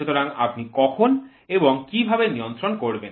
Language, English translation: Bengali, So, how when do you control